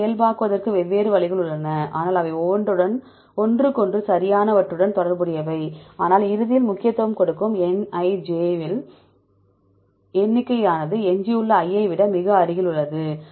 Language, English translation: Tamil, So, there are different ways to normalize, but they are related to each other right, but eventually the one which gives the importance is Nij number of times the residue i which is come close to j